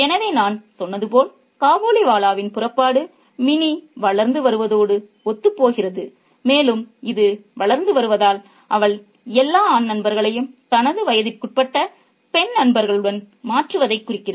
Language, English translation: Tamil, So, as I said, Kabaliwala's departure kind of coincides with Minnie's growing up and this growing up means her replacing all the male friends with female friends of her age